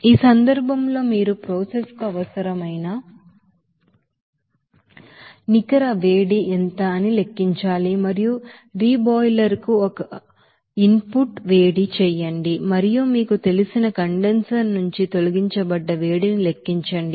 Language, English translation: Telugu, And in this case you have to calculate that what will be the net heat required for the process and also heat input to the reboiler and heat removed from the condenser that you have to you know, calculate